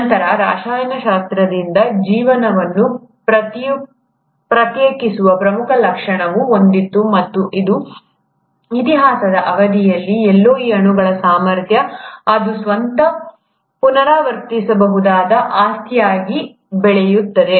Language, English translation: Kannada, Then came the most important feature which kind of sets apart life from chemistry, and that is the ability of these molecules, somewhere during the course of history, to develop into a property where it can replicate itself